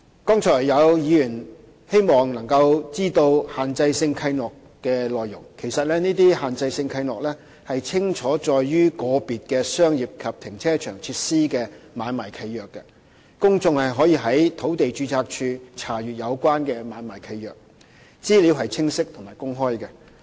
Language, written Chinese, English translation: Cantonese, 剛才有議員希望能夠知道限制性契諾的內容，其實這些限制性契諾已清楚載於個別的商業及停車場設施的買賣契約，公眾可以在土地註冊處查閱有關的買賣契約，資料是清晰和公開的。, Just now Members wished to know the contents of the Restrictive Covenants . In fact they are clearly set out in the Assignment Deeds of individual commercial and car parking facilities . The Assignment Deeds are accessible to the public at the Land Registry